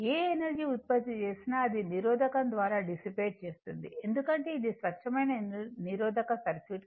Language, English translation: Telugu, Whatever energy you will produce, that will be dissipated in the resistor because, is a pure resistive circuit right